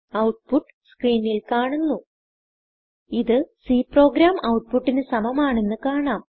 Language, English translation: Malayalam, The output is displayed on the screen: So, we see the output is identical to the C program